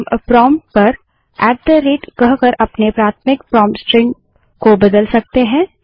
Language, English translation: Hindi, We may change our primary prompt string to say at the rate lt@gt at the prompt